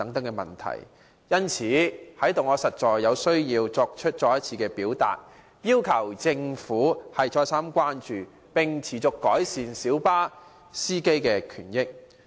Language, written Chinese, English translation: Cantonese, 因此，我實在有必要在這裏再三呼籲政府予以關注，改善小巴司機的權益。, Therefore I really have to urge the Government time and again for showing concern to improve the rights and benefits of light bus drivers